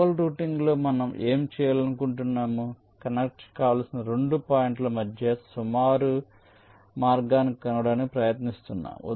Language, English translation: Telugu, we could, in global routing, what we are trying to do, we are trying to find out an approximate path between two points that are require to be connected